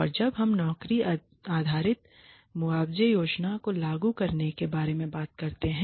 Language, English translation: Hindi, And then there is some drawbacks of the job based compensation plans